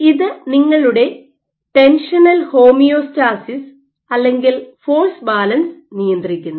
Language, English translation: Malayalam, So, this regulates your tensional homeostasis or the force balance